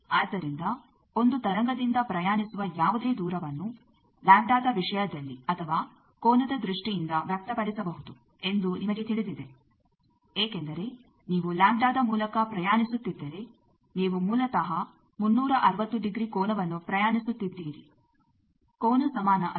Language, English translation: Kannada, So, you know that any distance travelled by a wave that can be expressed either as a distance in terms of lambda or in terms of angle, because if you travel by lambda then you are basically travelling an angle of 360 degree the angle equivalent of that